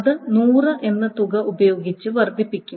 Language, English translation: Malayalam, That will be enhanced with that amount 100